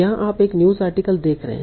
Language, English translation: Hindi, Similarly here you are seeing a news article